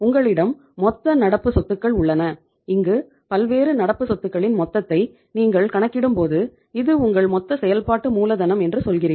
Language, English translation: Tamil, You have here the total current assets and this when you are totaling up the different current assets you are saying that this is your gross working capital